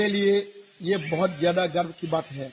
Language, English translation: Hindi, It is a matter of great pride for me